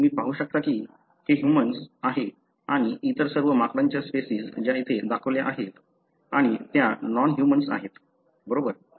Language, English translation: Marathi, You can see that this is the, you know human, and all other monkey species that are shown here and these are non human, right